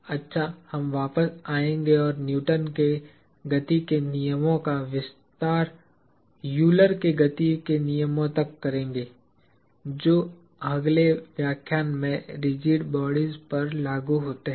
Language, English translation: Hindi, Good, we will come back and extend the Newton’s laws of motion to Euler’s laws of motion which are applicable to rigid bodies in the next lecture